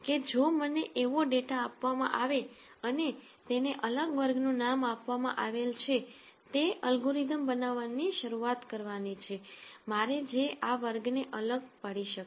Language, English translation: Gujarati, So, we have described this before if I am given data that is labelled to different classes that is what I start with, then if I am able to develop an algorithm which will be able to distinguish these classes